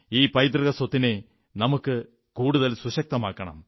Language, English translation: Malayalam, We have to further fortify that legacy